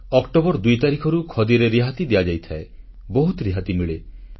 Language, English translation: Odia, Discount is offered on Khadi from 2nd October and people get quite a good rebate